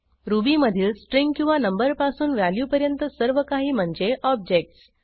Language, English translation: Marathi, Everything in Ruby is an object from a value to a string or number